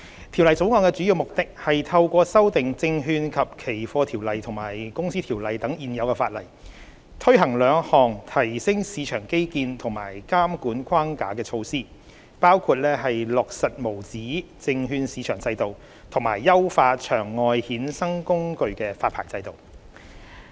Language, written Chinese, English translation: Cantonese, 《條例草案》的主要目的，是透過修訂《證券及期貨條例》和《公司條例》等的現有法例，推行兩項提升市場基建及監管框架的措施，包括落實無紙證券市場制度，以及優化場外衍生工具發牌制度。, The Bill aims mainly to amend existing legislation such as the Securities and Futures Ordinance SFO and the Companies Ordinance CO so as to implement two measures that can elevate financial market infrastructure and strengthen the regulatory framework including the implementation of an Uncertificated Securities Market USM regime and the refinement of the over - the - counter OTC derivative licensing regime